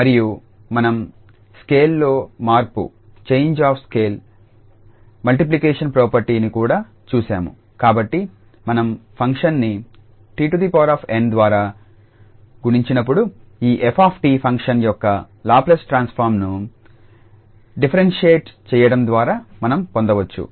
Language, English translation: Telugu, And we have also gone through the change of scale property, the multiplication property, so when we multiply by t power n to the function then we can just get by differentiating the Laplace transform of this f t function